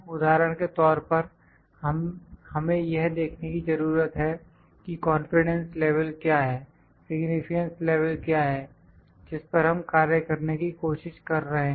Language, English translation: Hindi, For instance, for we need to see that when, what is the confidence level, what is the significance level that we need to where we are trying to work on